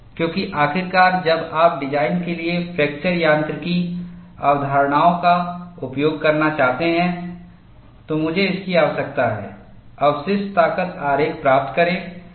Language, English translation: Hindi, Because ultimately, when you want to use fracture mechanics concepts for design, I need to get residual strength diagram